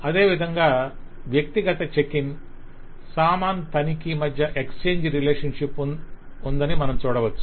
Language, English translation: Telugu, Similarly, we can see that between the individual checking and the baggage checking there is a exchange relationship